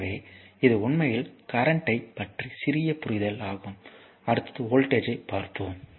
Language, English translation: Tamil, So, this is actually little bit understanding of the current, next is the voltage